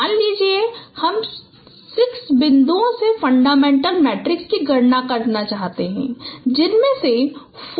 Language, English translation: Hindi, Suppose you would like to compute fundamental matrix from six points out of which four are coplanar